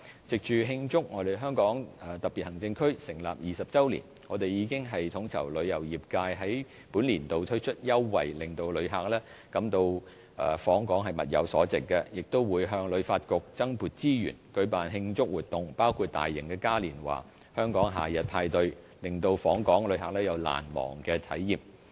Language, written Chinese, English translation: Cantonese, 藉着慶祝香港特別行政區成立20周年，我們已統籌旅遊業界在本年度推出優惠，令旅客感到訪港物有所值，亦會向旅發局增撥資源，舉辦慶祝活動，包括大型嘉年華"香港夏日派對"，令訪港旅客有難忘的體驗。, To make the 20 anniversary of the establishment of the Hong Kong Special Administrative Region this year we will roll out in coordination with the tourism industry a series of benefits for tourists to make their visits here value - for - money and we will also allocate more resources for HKTB to organize celebration activities including a large - scale summer carnival to create an unforgettable experience for tourists